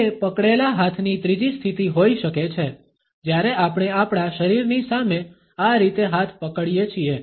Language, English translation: Gujarati, The third position of clenched hands can be when we are holding hands in this manner in front of our body